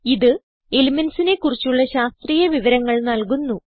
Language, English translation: Malayalam, It provides scientific information about elements